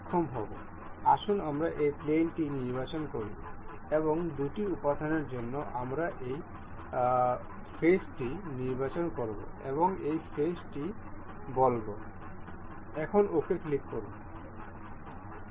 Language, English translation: Bengali, Let us select this plane and for two elements, we will be selecting this face and say this face, just click it ok